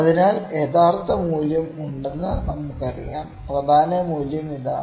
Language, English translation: Malayalam, So, we know the true value is there, the main value is this much